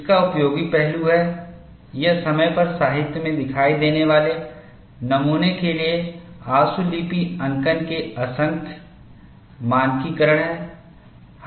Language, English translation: Hindi, Useful aspect of it is its standardization of the myriad of shorthand notations for specimen types that have appeared in the literature over time